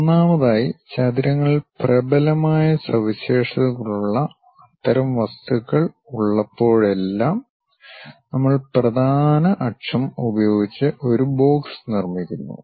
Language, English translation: Malayalam, First of all, whenever we have such kind of objects where rectangles are the dominant features we go ahead construct a box, using principal axis